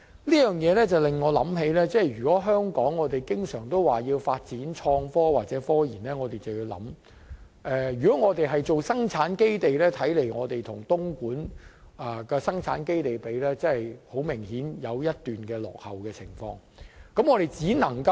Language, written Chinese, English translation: Cantonese, 這方面令我想到，如果香港要發展創科或科研，如果我們要成為生產基地，便要留意，我們與東莞的生產基地相比，顯然落後一大段路。, So if we want to promote IT and RD and turn Hong Kong into a production base we must bear in mind that we are actually way behind the production base in Dongguan